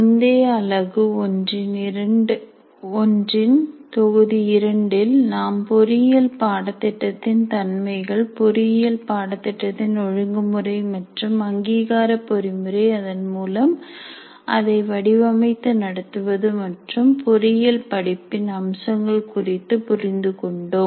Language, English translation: Tamil, And in the earlier unit, that is unit one of module two, we understood the nature of engineering programs, regulatory and accreditation mechanisms as per which they have to be designed and conducted and features of engineering courses